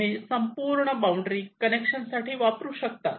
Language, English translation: Marathi, you can use the entire boundary for connection